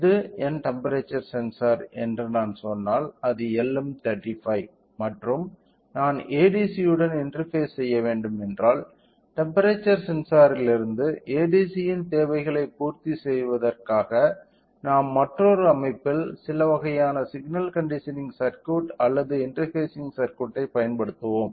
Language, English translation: Tamil, So, if I say this is my temperature sensor so, which is LM35 and if I want to interface to ADC which means another system we will use some kind of you know signal conditioning circuit or interfacing circuit in order to meet the requirements of ADC from the temperature sensor